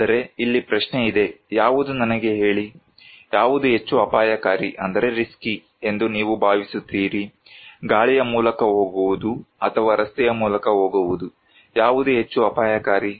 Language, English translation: Kannada, But here is the question; which one told me; which one you feel is more risky, going by air or going by road, which one actually more risky